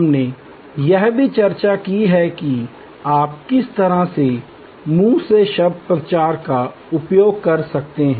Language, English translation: Hindi, We have also discussed how you can use word of mouth, publicity